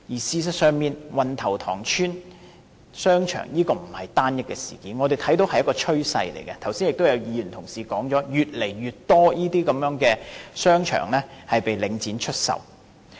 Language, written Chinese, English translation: Cantonese, 事實上，運頭塘邨商場並不是單一事件，我們看到的是一種趨勢，正如剛才也有同事說，現時的情況是越來越多商場被領展出售。, As a matter of fact the shopping centre of Wan Tau Tong Estate is not an isolated incident . What we have seen is a trend . As colleagues also said earlier the situation now is that more and more shopping arcades are put up for sale by Link REIT